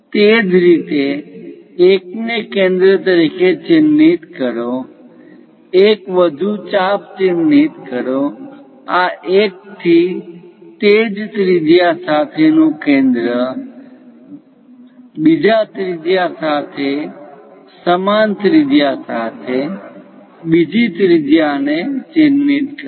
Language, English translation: Gujarati, Similarly, mark from this one as centre; mark one more arc, from this one as centre with the same radius mark other one, with the same radius mark other one, with the same radius mark other one